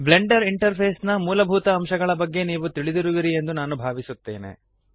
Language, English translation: Kannada, I assume that you know the basic elements of the Blender interface